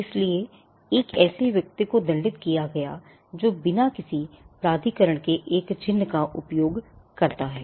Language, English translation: Hindi, So, there was a penalty attributed to a person who uses a mark without authorization